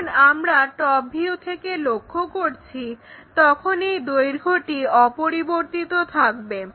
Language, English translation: Bengali, When we are looking from top view this length hardly changed, this AB remains same